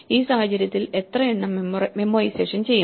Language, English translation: Malayalam, In this case how many will memoization do